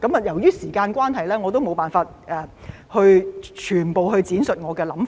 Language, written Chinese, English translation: Cantonese, 由於時間關係，我沒有辦法闡述我的全部想法。, Due to the time limit I am unable to elaborate on all my views